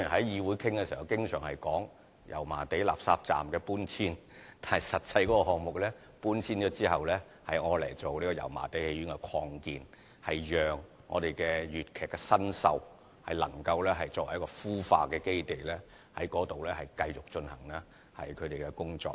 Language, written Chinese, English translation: Cantonese, 議會經常討論到油麻地垃圾站的搬遷問題，但實際上這項目搬遷後是用作油麻地戲院的擴建，作為粵劇新秀的孵化基地，在該處繼續進行他們的工作。, The removal of the Refuse Collection Point at Yau Ma Tei is always under discussion by this Council . But in fact its removal is for the expansion of the Yau Ma Tei Theatre into a base for cultivating young artists of Cantonese opera such that they can continue with their work there